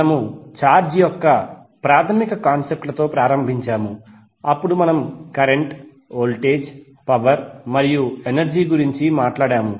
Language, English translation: Telugu, So we started with the basic concepts of charge then we spoke about the current, voltage, power and energy